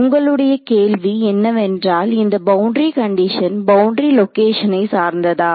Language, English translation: Tamil, So, your question is that is this boundary condition dependent on the boundary location